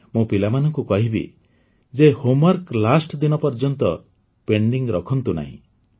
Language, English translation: Odia, I would also tell the children not to keep their homework pending for the last day